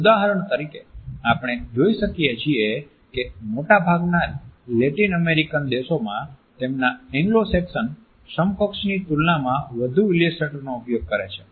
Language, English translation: Gujarati, There are certain cultures for example, in most of the Latin American countries we find that people use more illustrators in comparison to their Anglo Saxon counterparts